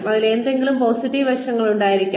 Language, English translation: Malayalam, There should be some positive aspect to them